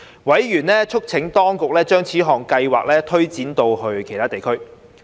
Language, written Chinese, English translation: Cantonese, 委員促請當局將此項計劃推展至其他地區。, Members urged the Administration to extend the scheme to other districts